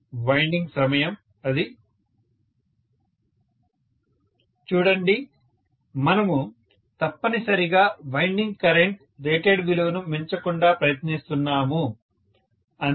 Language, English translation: Telugu, Winding time, it will be (())(36:14) See, we are essentially trying to make sure that the winding current should not exceed the rated value, that is all